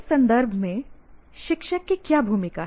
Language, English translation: Hindi, Now, what is the role of a teacher in this context